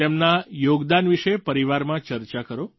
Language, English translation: Gujarati, Discuss their contribution with your family